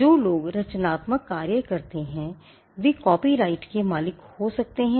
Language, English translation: Hindi, People who create or who come up with creative work can be the owners of copyright